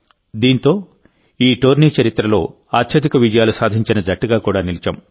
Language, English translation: Telugu, With that, we have also become the team with the most wins in the history of this tournament